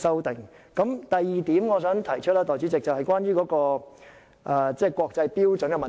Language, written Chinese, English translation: Cantonese, 代理主席，我想提出的第二點，是關於國際標準的問題。, Deputy Chairman my second point concerns the issue of international standards . I am considering the matter very simply